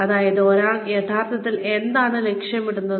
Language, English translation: Malayalam, Which is, what one really aims towards